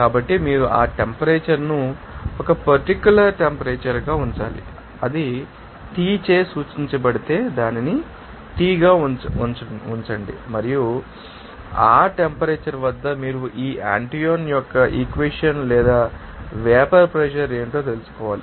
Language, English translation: Telugu, So, you have to you know, keep that temperature a certain temperature like you know that if it is denoted by T then keep it as T and that at that temperature you have to find out what should be the vapor pressure by this Antoine’s equation